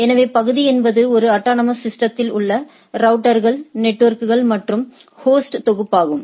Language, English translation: Tamil, So, area is a collection of routers network and host within an autonomous system